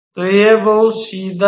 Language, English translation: Hindi, So, this is pretty straightforward